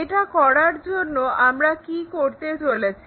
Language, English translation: Bengali, To do that what we will do